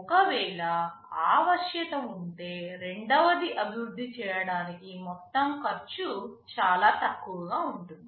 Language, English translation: Telugu, Well if that flexibility is there, then possibly for the second development your total cost would be much less